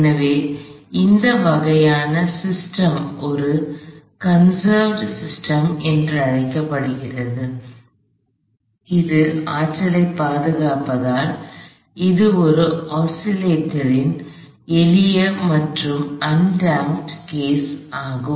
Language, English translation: Tamil, So, this kind of a system is called a conserved system, so because it conserves energy, this is simplest case of an oscillated and undamped